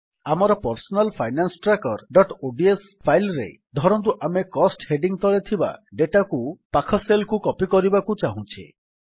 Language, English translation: Odia, In our Personal Finance Tracker.ods file, lets say we want to copy the data under the heading Cost to the adjacent cells